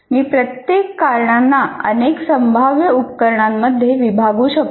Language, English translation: Marathi, And each cause again, I can divide it into several possible causes here